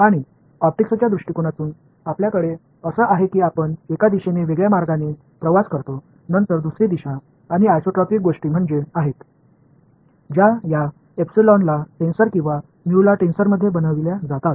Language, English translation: Marathi, And in lenses in optics you all we have that way of travels differently in one direction then another direction and isotropic things are there that is captured by making this epsilon into a tensor or mu into a tensor ok